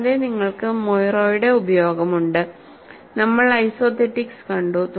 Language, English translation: Malayalam, Then, you have use of Moiré; we have seen isothetics